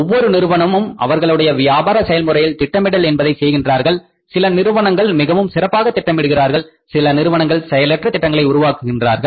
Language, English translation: Tamil, All companies plan in their business process, some companies plan actively, some companies plan passively